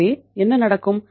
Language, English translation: Tamil, So then what happens